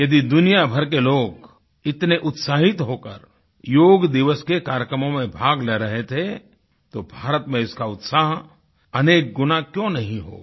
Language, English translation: Hindi, If people from the entire world ardently participated in programmes on Yoga Day, why should India not feel elated many times over